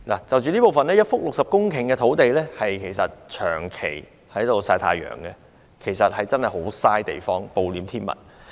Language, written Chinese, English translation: Cantonese, 就此方面，一幅60公頃的土地長期曬太陽真的很浪費，暴殄天物。, In this connection it is really a waste for a 60 - hectare site to do sunbathing for a prolonged period of time . It is a monstrous waste of natural resources indeed